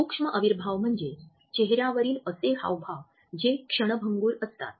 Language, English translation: Marathi, Micro expressions are those facial expressions that come on our face in a very fleeting manner